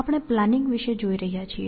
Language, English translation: Gujarati, We are looking at planning